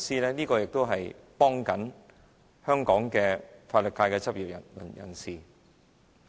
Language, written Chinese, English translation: Cantonese, 有關修訂可幫助香港法律界的執業人士。, The relevant amendments can facilitate legal practitioners in Hong Kong